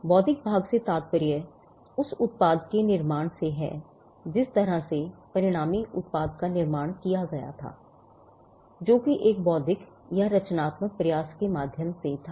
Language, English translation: Hindi, The intellectual part refers to the creation of the product the way in which the product the resultant product was created which was through an intellectual or a creative effort